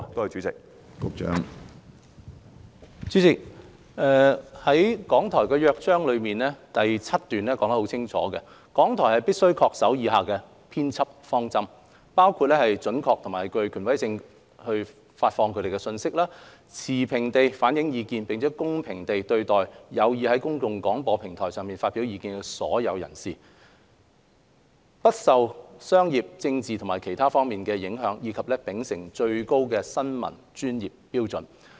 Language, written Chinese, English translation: Cantonese, 主席，《港台約章》第7段寫得很清楚，港台必須恪守以下編輯方針：發放準確並具權威性的資訊；持平地反映意見，並公平地對待有意在公共廣播平台上發表意見的所有人士；不受商業、政治及/或其他方面的影響；以及秉持最高的新聞專業標準。, President paragraph 7 of the Charter clearly states that RTHK will adhere to the following editorial principles be accurate and authoritative in the information that it disseminates; be impartial in the views its reflects and even - handed with all those who seek to express their views via the public service broadcasting platform; be immune from commercial political andor other influences; and uphold the highest professional standards of journalism